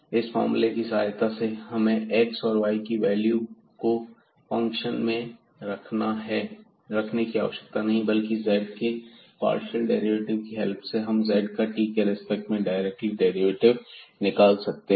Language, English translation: Hindi, And, with this formula we do not have to substitute the values of these x and y into the function, but directly with the help of the partial derivatives of this z we can get the derivative of z directly with respect to the function t